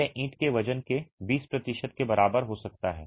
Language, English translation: Hindi, It can be as high as 20% of the weight of the brick